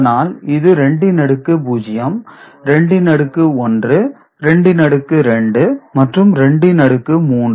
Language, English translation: Tamil, This is 1 into 2 to the power minus 1 plus 0 into 2 to the power minus 2 plus 1 into 2 to the power minus 3 ok